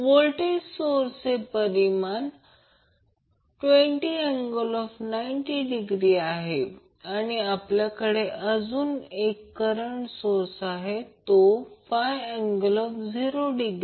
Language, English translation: Marathi, The voltage source is having magnitude as 20 angle 90 degree and we also have one current source that is 5 angle 0